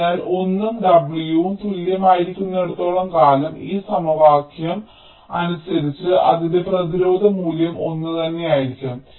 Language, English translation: Malayalam, so as long as l and w are equal, its resistance value will be the same